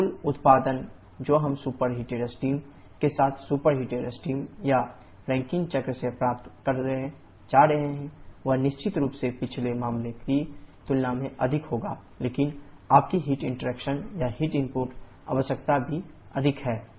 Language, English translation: Hindi, So, the total output that we are going to get from the superheated steam or Rankine cycle with superheated steam definitely be more compared to the previous case but your heat interaction or heat input requirement that is also more